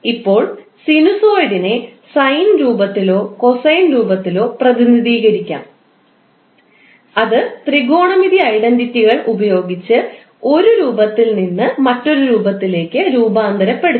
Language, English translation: Malayalam, Now, sinusoid can be represented either in sine or cosine form and it can be transformed from one form to other from using technometric identities